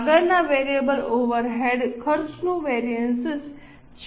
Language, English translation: Gujarati, So, this is variable overhead variance